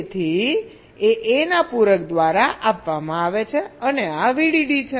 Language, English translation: Gujarati, so f is given by the complement of a and this is v dd